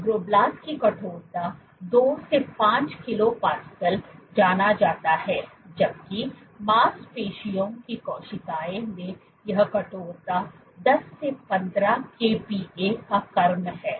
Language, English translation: Hindi, Fibroblast is known to be 2 5 kilo Pascal in stiffness while muscle cells this is order 10 15 kPa in stiffness